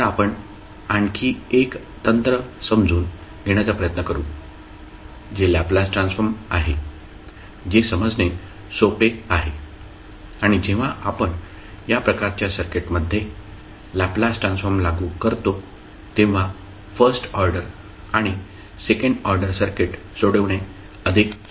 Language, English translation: Marathi, So, we will try to understand another technique that is the Laplace transform which is easier to understand and we when we apply Laplace transform in these type of circuits it is more easier to solve the first order and second order circuit